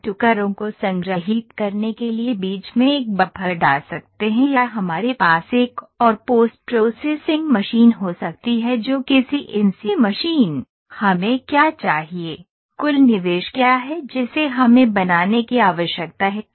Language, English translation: Hindi, We can put a buffer in between to store the pieces or we can had one more post processing machine that a CNC machine, would had it all depend what do we need to what is the total investment we need to make